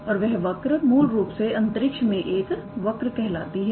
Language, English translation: Hindi, And that curve is basically called as a curve in space